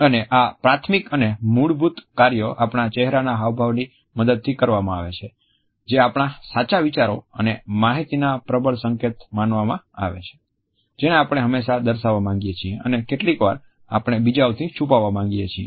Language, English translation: Gujarati, And this primary and fundamental function is performed with the help of our facial expressions which are considered to be potent signals of our true ideas and information which we often want to pass on and sometimes, we want to hide from others